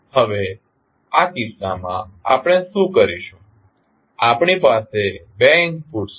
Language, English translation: Gujarati, Now, what we will do in this case we have two inputs